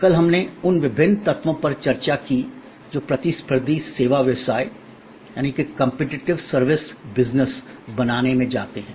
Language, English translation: Hindi, Yesterday, we discussed the different elements that go into creating a competitive service business